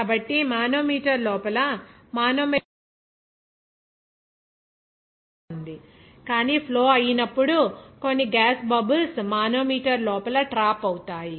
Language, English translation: Telugu, So here very interesting that the manometric fluid will be there inside the manometer, but during that flow, some gas bubbles is trapped inside the manometer